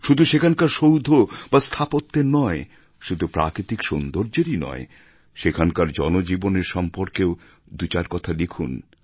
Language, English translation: Bengali, Write not only about architecture or natural beauty but write something about their daily life too